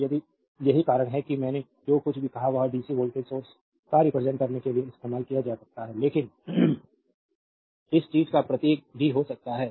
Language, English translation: Hindi, So, that is why the; whatever I said that can be used to represent dc voltage source, but the symbol of this thing can also